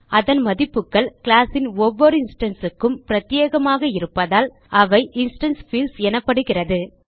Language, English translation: Tamil, Instance fields are called so because their values are unique to each instance of a class